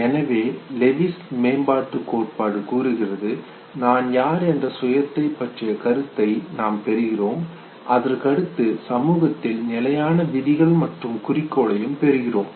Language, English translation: Tamil, So Lewis developmental theory says, that we acquire one are this concept of the self, who am I, and two after I acquire who am I, I also acquire the standards rules and goals of my society